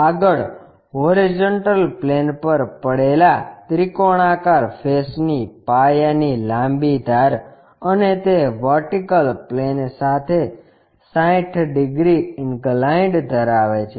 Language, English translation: Gujarati, Further, the longer edge of the base of the triangular face lying on horizontal plane and it is inclined at 60 degrees to vertical plane